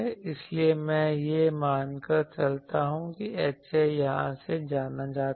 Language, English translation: Hindi, So, already I assume that H A is known from here